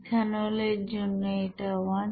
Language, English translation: Bengali, For ethanol it is one